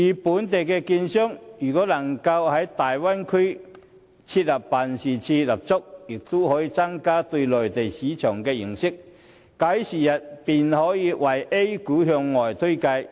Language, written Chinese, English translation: Cantonese, 本港券商如能在大灣區設立辦事處，將有助他們增加對內地市場的認識。假以時日，他們便可向外推介 A 股。, If Hong Kong securities dealers are allowed to set up offices in the Bay Area they will have a better understanding of the Mainland market which in time will facilitate their introduction of A - shares to the world